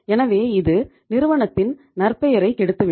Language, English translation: Tamil, So it will spoil the reputation of the firm